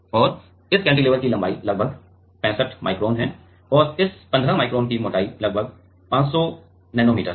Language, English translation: Hindi, And this cantilever is about length is about 65 micron with this 15 micron and thickness is about 500 nanometer